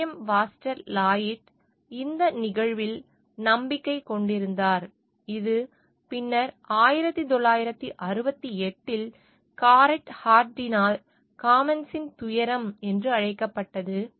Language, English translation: Tamil, William Foster Lloyd was a believer in this phenomenon, which was later called the tragedy of commons by Garret Hardin in 1968